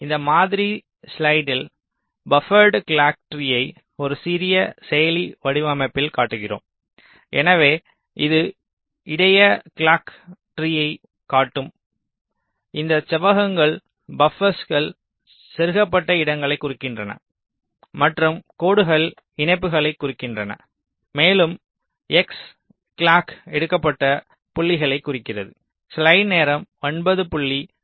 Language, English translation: Tamil, so this is just a sample slide showing a buffered clock tree in a small processor design, where this rectangles indicate the places where buffers have been inserted, ok, and the lines indicate the connections and the x indicates the points where the clock has been taken